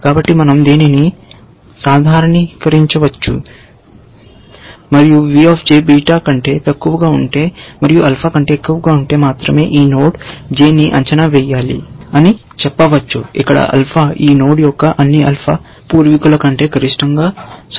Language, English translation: Telugu, So, we can generalize this and say that we need to evaluate this node j, only if v j is less than beta and is greater than alpha where, alpha is equal to max of alpha 1, alpha 2, alpha 3 or in general, all the ancestors of this node; all the alpha ancestors of this node